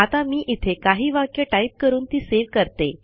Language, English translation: Marathi, Let me type some text here and save it